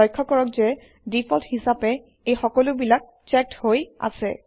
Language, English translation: Assamese, Notice that, by default, all of them are checked